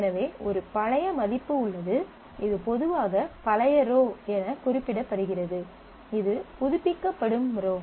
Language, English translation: Tamil, So, there is an old value which is typically referred to as old row, the row that is getting updated